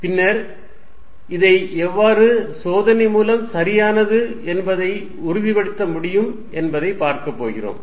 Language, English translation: Tamil, Then, we are going to see how this can be confirmed that this is really true, experimental verification